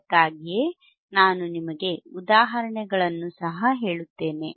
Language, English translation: Kannada, That is why, I also tell you the examples